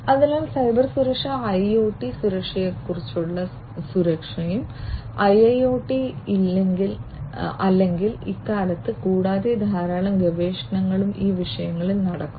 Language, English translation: Malayalam, So, Cybersecurity, security for IoT security for IIoT or hot topics nowadays, and lot of research are going on these topics